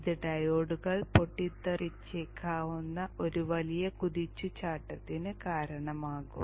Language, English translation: Malayalam, This will result in a very huge search current which may blow off the diodes